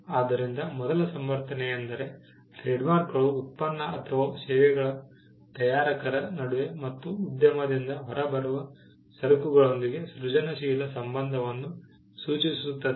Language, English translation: Kannada, So, the first justification is that, trademarks create creative association between the manufacturer of the product or services and with the goods that come out of the enterprise